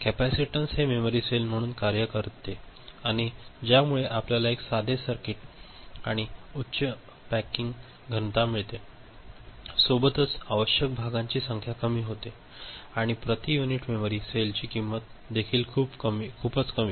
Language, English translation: Marathi, So, this capacitance acts as a memory cell and this provides us a simple circuit and a higher packing density, number of parts required becomes less, and the cost also per unit memory cell becomes much, much smaller